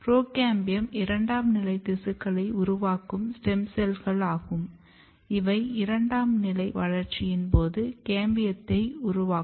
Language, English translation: Tamil, Procambiums are basically kind of stem cells for generating other these secondary tissues during the process of secondary growth which makes cambium